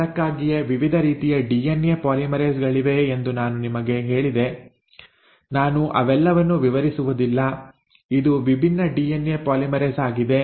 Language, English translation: Kannada, That is why I told you there are different kinds of DNA polymerases; I am not going into all of them, this is a different DNA polymerase